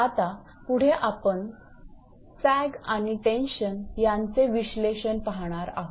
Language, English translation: Marathi, Next now next thing is that analysis of sag and tension